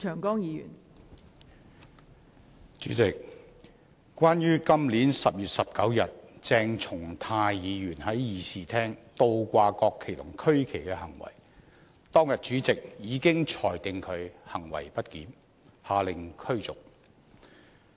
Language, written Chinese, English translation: Cantonese, 代理主席，關於今年10月19日鄭松泰議員在議事廳倒掛國旗和區旗的行為，當天主席已裁定他行為不檢，下令驅逐。, Deputy President regarding Dr CHENG Chung - tais acts of inverting the national flags and regional flags in the Chamber on 19 October this year the President already ruled that his acts were misbehaviour and ordered that he be removed from the Chamber that day